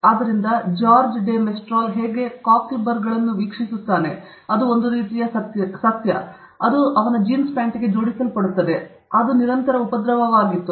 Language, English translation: Kannada, So, George de Mestral's observation of how cockleburs a kind of plant it got attached to his jeans pant; it was a constant nuisance